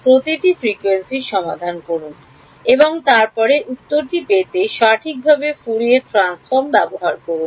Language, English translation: Bengali, Solve for each frequency and then use Fourier transforms to get answer right